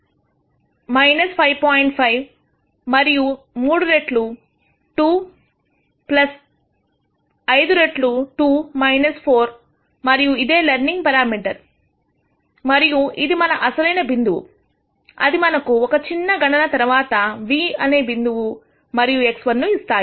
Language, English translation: Telugu, 5, and 3 times 2 plus 5 times 2 minus 4 and this is the learning parameter and this is our original point which gives me a nu point x 1 after simple computation